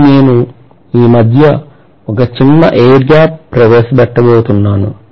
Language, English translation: Telugu, But I am going to introduce a small air gap in between